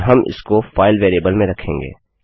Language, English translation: Hindi, And well store it in the file variable